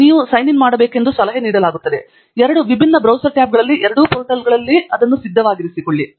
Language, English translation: Kannada, It is a advisable that you need to sign into both portals in two different browser tabs and keep it ready